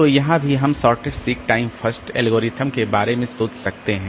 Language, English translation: Hindi, So, here also we can think about the shortest seek time first, SSTF algorithm